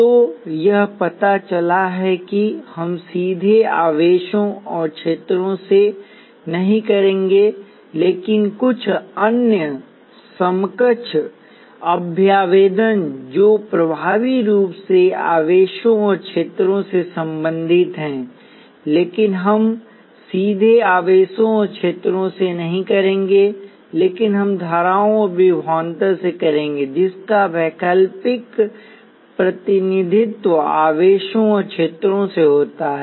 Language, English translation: Hindi, So it turns out that we will not directly deal with charges and fields, but some other equivalent representations which effectively mean charges and fields, but we would not directly deal with charges and field, but we will deal with currents and voltages alternative representations of charges and fields